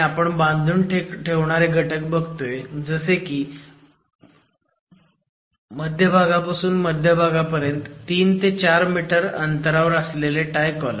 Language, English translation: Marathi, We are looking at tie elements, tie columns which are coming at 3 meters or 4 meters center to center spacing